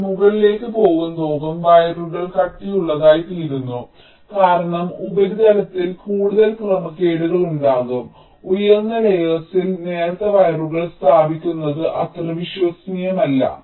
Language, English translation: Malayalam, so as we go up, move up, the wires tend to become thicker because there will be more irregularity in the surfaces and laying out those thin wires on the higher layers will be not that reliable